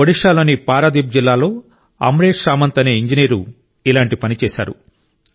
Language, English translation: Telugu, An engineer AmreshSamantji has done similar work in Paradip district of Odisha